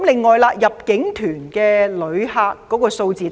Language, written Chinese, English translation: Cantonese, 此外，入境團旅客數字大跌。, Moreover there is a massive drop in inbound tourists